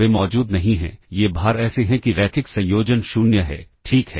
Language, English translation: Hindi, They do not exists, these weights such that the linear combination is 0, ok